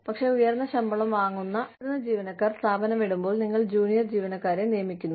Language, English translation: Malayalam, But, when senior employees, who are drawing a very high salary, leave the organization, you hire junior employees